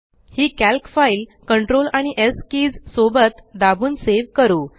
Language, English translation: Marathi, Lets save this Calc file by pressing CTRL and S keys together